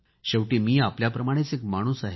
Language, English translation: Marathi, After all I am also a human being just like you